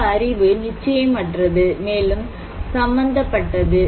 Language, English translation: Tamil, Some knowledge are uncertain, and also consented